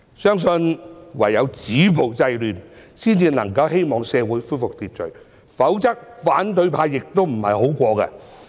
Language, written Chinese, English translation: Cantonese, 相信唯有止暴制亂，才能夠恢復社會秩序，否則反對派亦不好過。, I believe that only by stopping violence and curbing disorder can we restore social order lest the opposition camp will also suffer